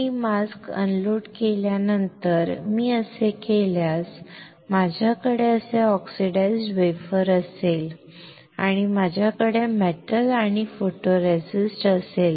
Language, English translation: Marathi, That after I unload the mask if I do this, I will have oxidized wafer like this and I will have metal and photoresist